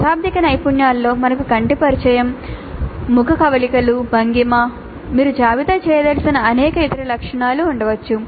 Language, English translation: Telugu, So, in non verbal skills we could have eye contact, facial expressions, posture, there could be several other attributes that you wish to list